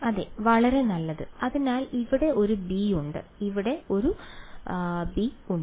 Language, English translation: Malayalam, Yeah exactly very good, so there is a b over here and there is a b over here yeah very good